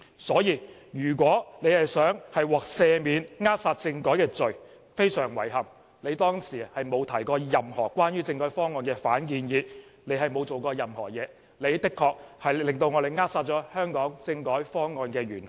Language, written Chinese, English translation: Cantonese, 因此，如果他們想獲赦免扼殺政改的罪，非常遺憾，他們當時並沒有提過任何關於政改方案的反建議，他們沒有做任何工作，的確是扼殺了香港政改方案的元兇。, Therefore I have to regrettably say that the pan - democrats cannot be pardoned for defeating the constitutional reform package because they have neither put forward any counter - proposal nor have they done any work at all . They are really the culprits for defeating the constitutional reform package of Hong Kong